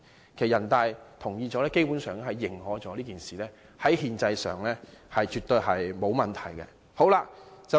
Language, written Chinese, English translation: Cantonese, 其實，經人大同意後，基本上即認可這件事在憲制上絕對沒有問題。, Basically with the approval of NPC this matter is readily recognized as having absolutely no constitutional problem